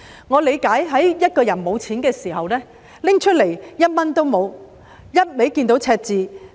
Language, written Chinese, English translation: Cantonese, 我理解一個人在財政緊絀的時候，要拿出1元也很困難，因為只看到赤字。, I understand that it is very difficult for a person to spend even 1 when he is hard up and the account is in red